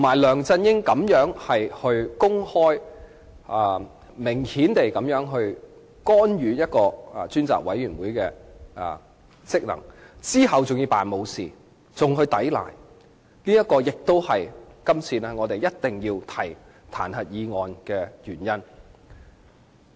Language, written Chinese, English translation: Cantonese, 梁振英公然干預專責委員會的職能，其後還裝作若無其事和作出抵賴，也是我們必須提出這項彈劾議案的原因。, After blatantly interfering with the functions of the Select Committee LEUNG Chun - ying behaved as if nothing had happened and denied having done so . This is another reason why we must propose this impeachment motion